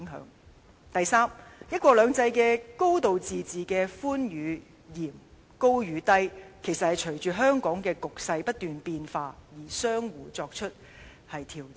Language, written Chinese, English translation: Cantonese, 此外，他表示"一國兩制"、"高度自治"的寬與嚴，高與低，其實是隨着香港局勢不斷變化而相互作出調整。, Furthermore he believes that the room and extent of one country two systems and a high degree of autonomy are adjusted based on the continual changes in Hong Kongs situation